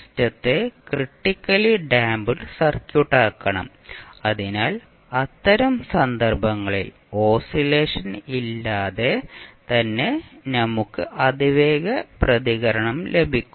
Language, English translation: Malayalam, We have to make the system critically damped circuit, so in that case we will get the fastest response without any oscillations